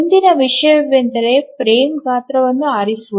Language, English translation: Kannada, Now the next thing is to choose the frame size